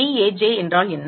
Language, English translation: Tamil, What is dAj